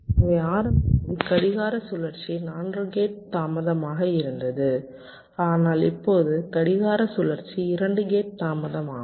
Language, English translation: Tamil, so, ah, so initially clock cycle was four gate delays, but now clock cycle is two gate delays